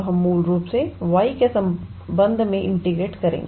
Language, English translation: Hindi, We will basically integrate with respect to y